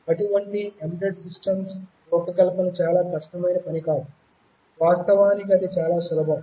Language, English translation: Telugu, Designing such an embedded system is not at all a difficult task, it is very simple in fact